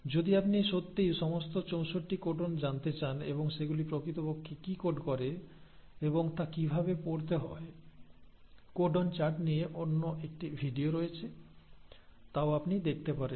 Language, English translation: Bengali, And if you really want to know all the 64 codons and what they really code for and how to read the there is another video on codon chart you can have a look at that too